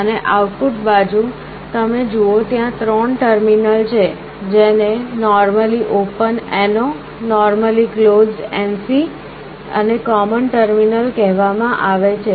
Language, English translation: Gujarati, And on the output side you see there are three terminals that are provided, these are called normally open normally closed , and the common terminal